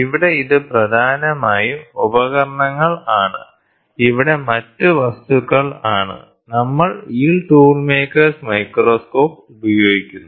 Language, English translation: Malayalam, So, here it is more predominantly of tools here the other items, we use this tool maker’s microscope